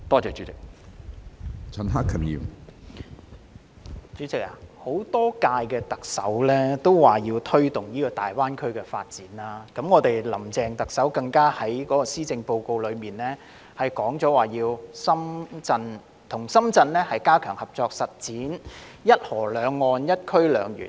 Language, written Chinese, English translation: Cantonese, 主席，多屆特首都說要推動大灣區發展，林鄭特首更在今年的施政報告中提及要與深圳加強合作，實踐"一河兩岸、一區兩園"。, President previous Chief Executives had all talked about the need to promote the development of the Greater Bay Area and in this years Policy Address Chief Executive Carrie LAM indicated her intention to strengthen cooperation with Shenzhen in order to establish one zone two parks at one river two banks